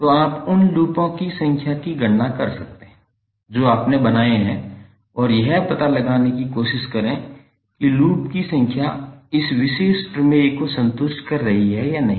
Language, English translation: Hindi, So you can count number of loops which you have created and try to find out whether number of loops are satisfying this particular theorem or not